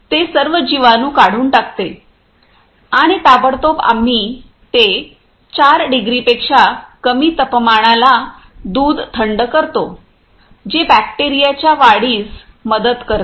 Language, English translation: Marathi, It will makes all bacteria removed and immediately we are cooling that milk below 4 degree which limits the growth of bacteria () Ok Subsequently